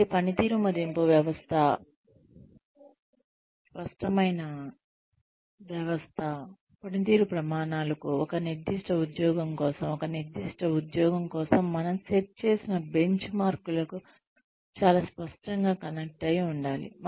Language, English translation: Telugu, So, the performance appraisal system should be, very clearly connected to the performance standards, for a particular job, to the benchmarks, that we set, for a particular job